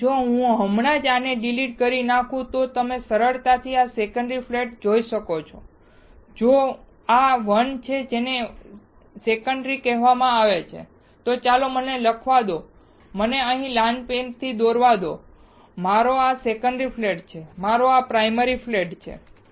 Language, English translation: Gujarati, So, if I just delete this, you can easily see this secondary flat, which is this 1, this is called secondary; So, let me write, let me draw with red pen here, this is my secondary flat, this is my primary flat